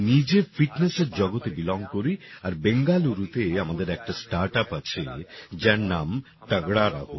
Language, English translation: Bengali, I myself belong to the world of fitness and we have a startup in Bengaluru named 'Tagda Raho'